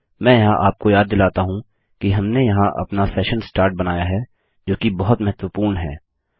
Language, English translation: Hindi, Let me remind you here that we just created our session start here, which is very important